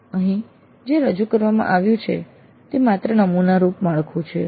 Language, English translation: Gujarati, So what is presented here is just a sample framework only